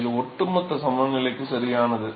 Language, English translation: Tamil, This is overall balance right